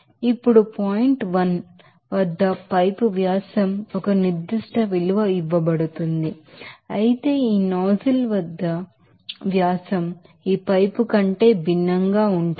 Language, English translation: Telugu, Now, the pipe diameter at point 1 it is given a certain value whereas at this nozzle the nozzle diameter will be something different from this pipe